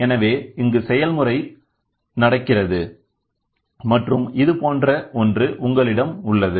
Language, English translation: Tamil, So, here is the process happening and you have something like this